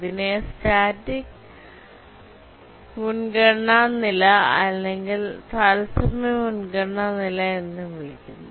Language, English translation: Malayalam, This is also called a static priority level or real time priority level